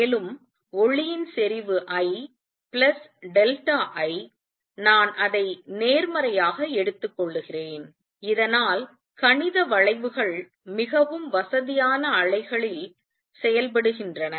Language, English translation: Tamil, And light of intensity I plus delta I, I am taking it to be positive so that mathematics curves work out in more convenient wave